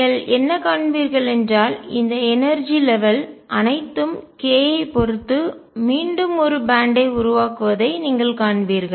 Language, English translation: Tamil, What you will see that all these energy levels now with respect to k again form a band